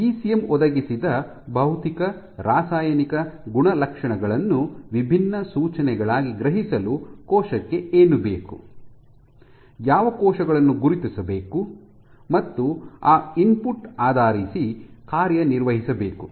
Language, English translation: Kannada, So, what this requires is for the cell to sense the physical chemical attributes provided by the ECM as distinct cues, which cells must recognized and accordingly function based on that input